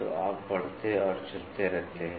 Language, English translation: Hindi, So, you keep increasing and going